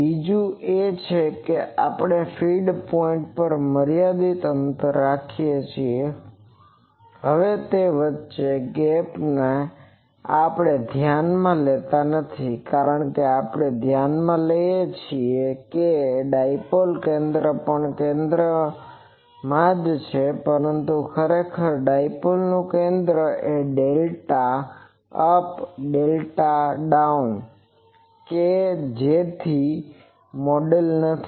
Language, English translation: Gujarati, Another is we are a having a finite gap at the feed point, now that gap we do not consider, because we consider that the dipoles centre is also at the center, but actually dipole center is a delta up, and the delta down so that is not model